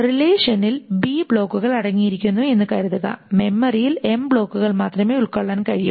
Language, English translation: Malayalam, Suppose the relation contains B blocks and memory is can contain only M blocks